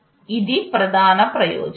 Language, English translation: Telugu, This is the main advantage